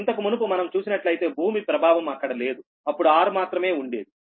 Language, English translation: Telugu, so earlier, if you earlier, the effect of earth was not there, it was r only